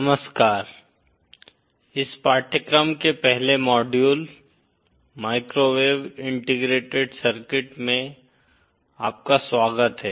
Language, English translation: Hindi, Hello, welcome to the 1st module of this course, microwave integrated circuits